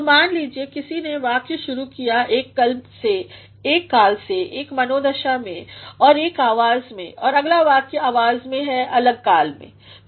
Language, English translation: Hindi, So, suppose somebody started a sentence in one tense, one mood and one voice and the next sentence is in a different voice, in a different tense